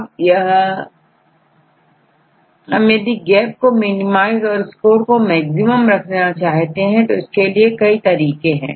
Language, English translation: Hindi, So, if we try to minimize the gaps and maximize the score right this we can do in several different ways